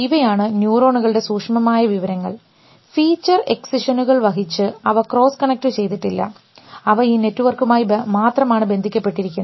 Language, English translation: Malayalam, So, these are neurons discrete information, carrying feature excisions they are not cross connected, they are only connected through network